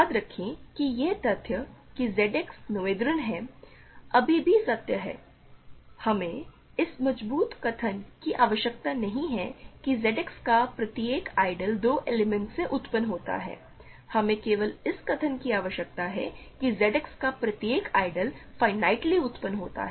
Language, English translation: Hindi, Remember that, the fact that Z X is noetherian is still true, we do not need this stronger statement that every ideal of Z X is generated by 2 elements, we only need this statement that every ideal of Z X is finitely generated